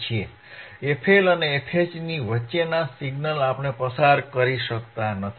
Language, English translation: Gujarati, tThe signals between f L and f H we cannot pass